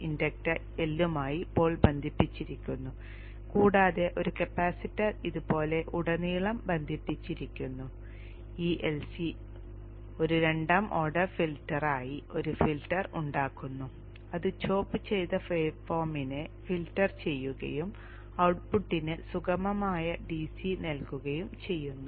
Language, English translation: Malayalam, The pole is connected to the inductor L and a capacitor is connected across like this and this LC forms a filter, a second order filter which filters out the chopped waveform and gives a smooth DC to the output